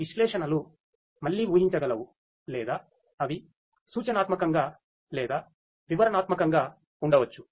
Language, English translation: Telugu, These analytics could be again predictive or they could be prescriptive or descriptive